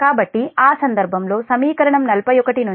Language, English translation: Telugu, this is equation forty one